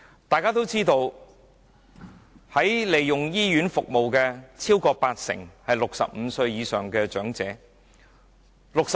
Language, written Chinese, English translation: Cantonese, 大家都知道，超過八成使用醫院服務的人是65歲以上的長者。, As we all know more than 80 % of the people currently using hospital services are elderly persons aged over 65